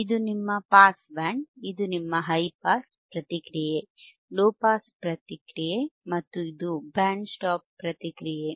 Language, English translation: Kannada, This is your pass band, this is your pass band, this is your high pass response, low pass response, this is reject; so band stop response